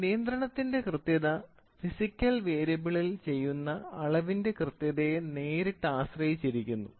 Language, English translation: Malayalam, So, the accuracy of control, the accuracy of control is directly dependent on the accuracy of physics of the measurement which is done by the physical variable